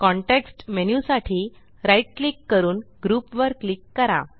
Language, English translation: Marathi, Right click for the context menu and click Group